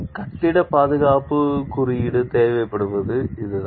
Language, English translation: Tamil, That is what the building safety code required